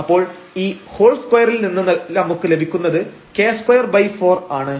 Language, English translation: Malayalam, So, what we are getting out of this whole square, k square by 4